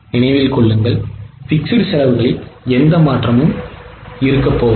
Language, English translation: Tamil, Keep in mind that fixed cost is anyway not going to change